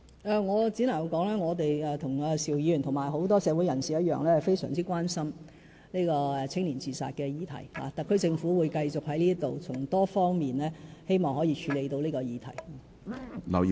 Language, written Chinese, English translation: Cantonese, 我只能說，我們與邵議員，以及其他社會人士一樣非常關心年青人自殺議題，特區政府會繼續循多方面處理這個議題。, I can only say that like Mr SHIU and other people in society we are also very concerned about the issue of youth suicide . The SAR Government will continue to tackle this issue by taking actions in different policy areas